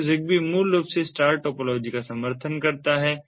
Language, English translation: Hindi, so zigbee basically supports star topology